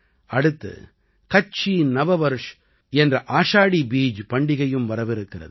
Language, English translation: Tamil, Just ahead is also the festival of the Kutchi New Year – Ashadhi Beej